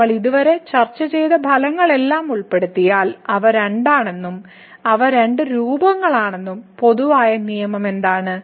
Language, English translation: Malayalam, So, what is the general rule now if we include those all results what we have discussed so far, that they are two they are could be two forms